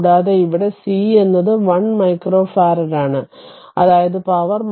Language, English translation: Malayalam, And c here is 1 micro farad that means 10 to the power minus 6 farad